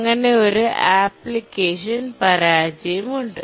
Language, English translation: Malayalam, So there is application failure